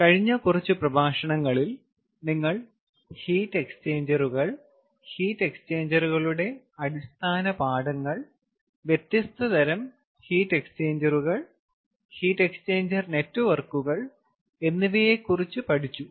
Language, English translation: Malayalam, ah, in the last few lectures, ah, you have learnt about heat exchangers, the fundamentals of heat exchangers, the different kinds of heat exchangers, as well as heat exchanger networks, ah, so today, what we are going to talk about is a special heat exchange device